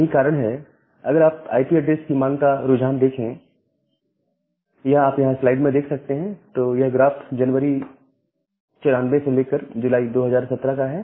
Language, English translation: Hindi, And that is why if you look into the trend of IP address requirement, in respect to years, so this graph is from January 94 to July 2017